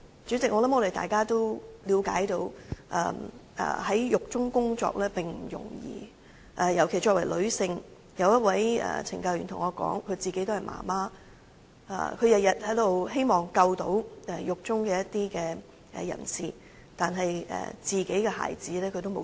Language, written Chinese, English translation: Cantonese, 主席，我相信大家也了解到，在獄中工作並不容易，尤其是作為女性，有一位懲教人員對我說，她自己也身為媽媽，她每天也希望能救助獄中一些人士，但卻沒時間照顧自己的孩子。, President I believe Members should understand that it is not easy to work in a prison especially women . A CSD staff says she is a mother but she has no time to take care of her own kids as she is trying to help those inmates every day